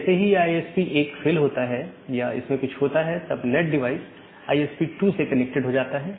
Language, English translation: Hindi, Now the moment this ISP got a failure or something happened, then the NAT device gets connected to ISP 2